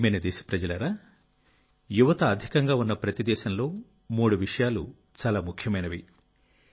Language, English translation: Telugu, My dear countrymen, in every country with a large youth population, three aspects matter a lot